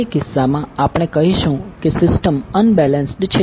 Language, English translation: Gujarati, So in that case, we will say that the system is unbalanced